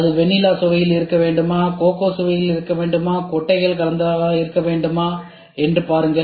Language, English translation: Tamil, Should it be in vanilla flavour, should it be in coco flavour, should it be only should it be a mixed with nuts